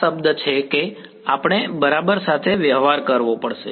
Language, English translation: Gujarati, This is the term that we have to deal with ok